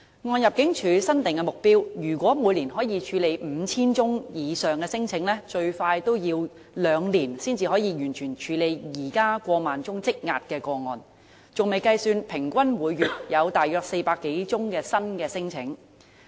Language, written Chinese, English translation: Cantonese, 按入境處新定目標，如果每年可以處理 5,000 宗以上聲請，最快也要兩年才能完成處理現時過萬宗積壓個案，還未計算平均每月有大約400多宗新聲請。, Given the Departments new target of processing more than 5 000 claims annually and disregarding the average monthly addition of 400 odds new claims it will take at least two years to fully handle the 10 000 - plus outstanding claims